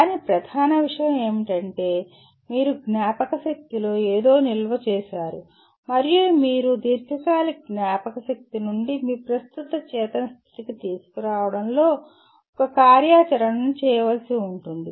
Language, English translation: Telugu, But the main thing is you have stored something in the memory and you have to perform an activity that will involve in bringing from a long term memory to your present conscious state